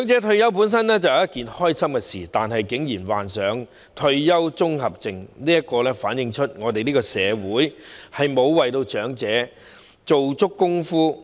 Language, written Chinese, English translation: Cantonese, 退休本是一件開心事，但是，長者竟然患上退休綜合症，反映我們的社會沒有為長者退休作充足的準備。, Retirement should be a happy event . But the very fact that elderly persons would actually suffer from the retirement syndrome shows that our society is ill - prepared for their retirement